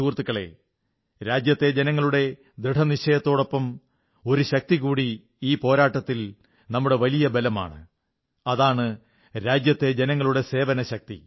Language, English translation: Malayalam, in this fight, besides the resolve of our countrymen, the other biggest strength is their spirit of service